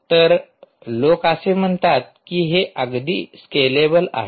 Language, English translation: Marathi, so people do say that this is a very scalable